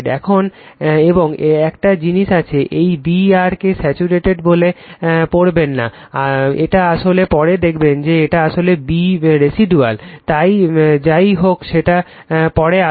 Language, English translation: Bengali, Now, and one thing is there, this B r do not read at it as saturated right, it is actually later we will see, it is actually B residual right, so anyway we will come to that